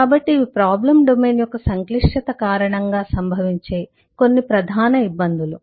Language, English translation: Telugu, so these are some of the core difficulties that happen in the due to the complexity of the problem domain